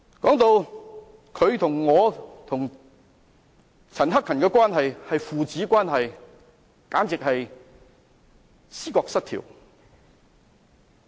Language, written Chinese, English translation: Cantonese, 鄭議員說我與陳克勤議員的關係是父子關係，簡直是思覺失調。, Dr CHENG says that Mr CHAN Hak - kan and I are like son and father . Is he schizophrenic or what?